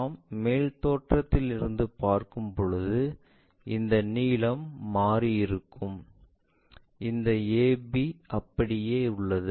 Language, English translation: Tamil, When we are looking from top view this length hardly changed, this AB remains same